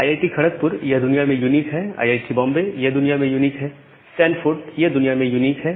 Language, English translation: Hindi, So, this IIT Kharagpur it is unique globally, IIT Bombay it is unique globally, Stanford it is unique globally